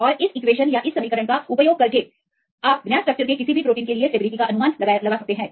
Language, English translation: Hindi, And then using this equation, you can predict the stability of any proteins of known structure